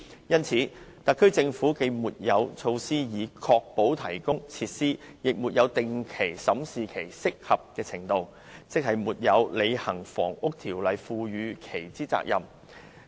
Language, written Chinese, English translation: Cantonese, 由此可見，特區政府既沒有措施"確保"並"提供"設施，也沒有定期審視這些設施的"適合"程度，即沒有履行《房屋條例》訂明的責任。, Hence the SAR Government has failed to discharge its responsibilities stipulated in the Housing Ordinance having neither the measures to secure the provision of amenities nor the practice of regularly reviewing the fitness of those amenities